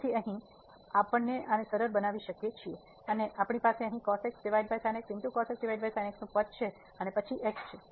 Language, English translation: Gujarati, So, now, we can simplify this so, we have here the over term and then the there